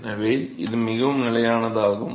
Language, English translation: Tamil, So, that is a very stable situation